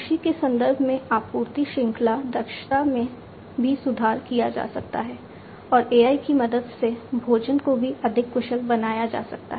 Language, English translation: Hindi, Supply chain efficiency also can be improved in supply chain in the context of agriculture and food could also be made much more efficient with the help of AI